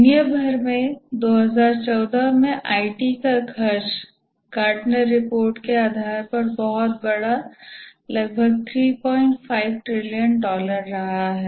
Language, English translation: Hindi, The IT spending worldwide is huge based on a Gatner report roughly about $3